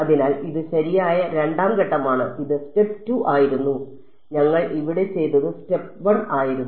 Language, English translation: Malayalam, So, this was step 2 and what we did over here was step 1